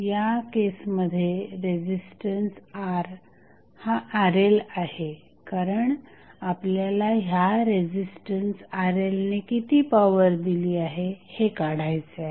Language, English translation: Marathi, In this case resistance R is Rl because we are to find out the power dissipated by this resistance Rl